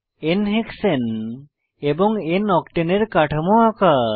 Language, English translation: Bengali, Draw structures of n hexane and n octane 2